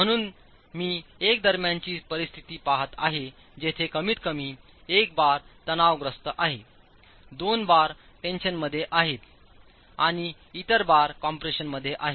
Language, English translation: Marathi, So I'm looking at one of the intermediate situations where at least one bar is in tension, two bars are in tension and the other bars are in compression